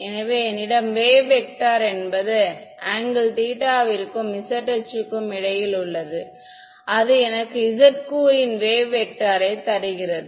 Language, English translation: Tamil, So, if I have a wave vector between angle theta with the z axis, giving me the z component of the wave vector right